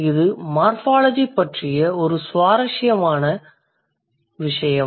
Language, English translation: Tamil, That is one interesting thing about morphology